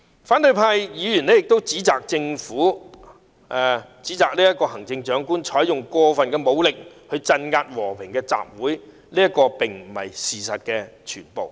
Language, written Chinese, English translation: Cantonese, 反對派議員亦指責行政長官"採用過份武力鎮壓和平集會"，但這並不是事實的全部。, The opposition Members also charge the Chief Executive with use of excessive force to crack down on peaceful assembly . This is not the entire facts